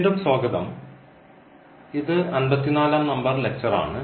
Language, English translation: Malayalam, So, welcome back this is lecture number 54